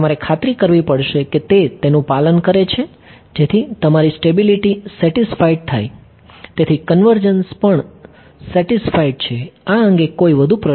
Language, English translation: Gujarati, You have to make sure that it is obeying it such that your stability is satisfied therefore, convergence is also satisfied ok; any further questions on this